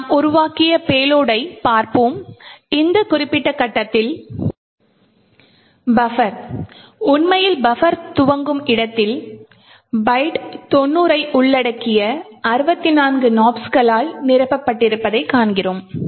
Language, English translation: Tamil, We would look at the payload that we have created, and we see at this particular point the buffer actually starts is supposed to be present we see that there are 64 Nops comprising of the byte 90